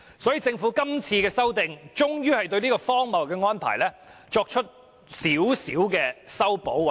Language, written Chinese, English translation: Cantonese, 所以，政府今次修例，終於對這項荒謬的安排稍作修補。, Therefore by making this legislative amendment the Government is finally taking the move to slightly rectify this absurd arrangement